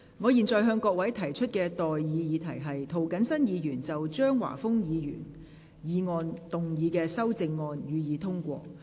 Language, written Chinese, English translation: Cantonese, 我現在向各位提出的待議議題是：涂謹申議員就張華峰議員議案動議的修正案，予以通過。, I now propose the question to you and that is That the amendment moved by Mr James TO to Mr Christopher CHEUNGs motion be passed